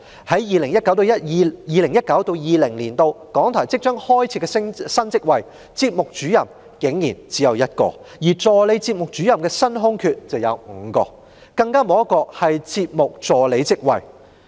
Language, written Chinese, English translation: Cantonese, 在 2019-2020 年度即將開設的新職位中，節目主任竟然只有1個，而助理節目主任的新空缺則有5個，更沒有一個是節目助理職位。, Surprisingly among the new posts to be created in 2019 - 2020 there is only one post of Programme Officer . There are five new vacancies for Assistant Programme Officer and none for the post of Programme Assistant